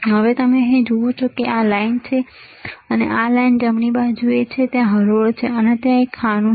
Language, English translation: Gujarati, Now, here you see, this line and this line right, there is rows and there is columns